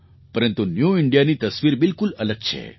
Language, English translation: Gujarati, But, the picture of New India is altogether different